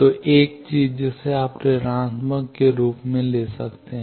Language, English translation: Hindi, So, 1 of the thing you can take as minus